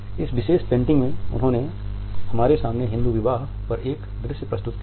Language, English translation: Hindi, In this particular painting he has presented before us a scene at a Hindu wedding